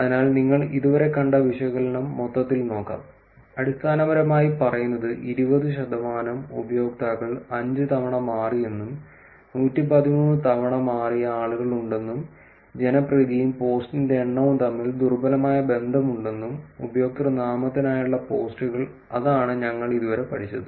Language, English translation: Malayalam, So, let us go overall the analysis that you have seen until now, it basically says that 20 percent of the users change five times, that there are people who have changed 113 times and there is weak relationship between popularity and the number of post somebody posts for the username changes that is what we learnt until now